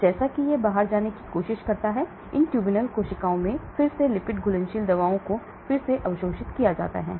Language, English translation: Hindi, So as it tries to come out, there could be again re absorbed of lipid soluble drugs back into the body across these tubule cells